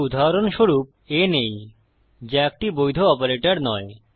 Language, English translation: Bengali, So, for example lets take a which is not a valid operator